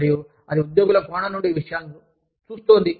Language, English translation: Telugu, And, that is looking at things, from the perspective of the employees